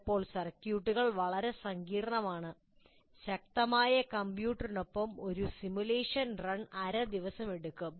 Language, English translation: Malayalam, Sometimes the circuits are so complex, one simulation run may take a half a day, even with the powerful computer